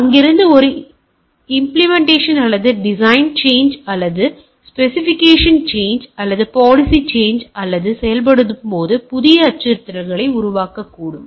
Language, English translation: Tamil, So, from there it goes on implementation or design change or specification change or policy change, or while operating it may generate new threats right